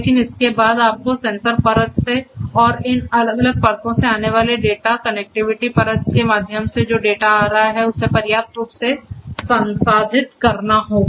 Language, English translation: Hindi, But thereafter how do you know you have to deal with the data that is coming through these different layers from the sensor layer through the connectivity layer the data that are coming will have to be processed adequately